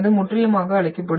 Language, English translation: Tamil, It will be completely destroyed